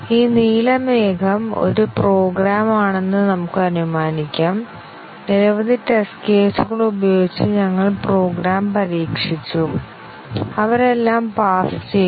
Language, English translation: Malayalam, Let us assume that, this blue cloud is a program and we tested the program with a number of test cases; and they all passed